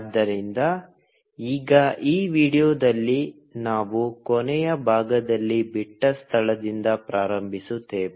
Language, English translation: Kannada, So, now in this video, we will start off from where we left in the last part